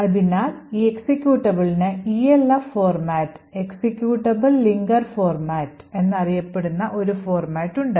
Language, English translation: Malayalam, So, this executable has a particular format known as the ELF format or Executable Linker Format